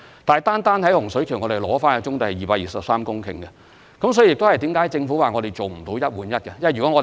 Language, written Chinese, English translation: Cantonese, 不過，我們單在洪水橋收回的棕地便達到223公頃，因此政府表示無法做到"一換一"。, But in Hung Shui Kiu alone we have already resumed as many as 223 hectares of brownfield sites . This explains why the Government has said that the one - on - one arrangement is impossible